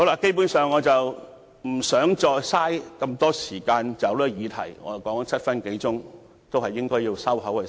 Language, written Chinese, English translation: Cantonese, 基本上，我不想再浪費時間在這項議題上，我已發言超過7分鐘，是時候閉口。, Basically I do not want to waste further time on this topic . I have spoken for more than seven minutes and it is time to shut up